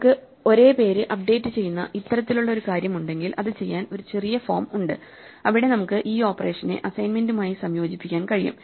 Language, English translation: Malayalam, Whenever we have this kind of a thing where the same name is being updated, there is a short form where we can combine the operation with the assignment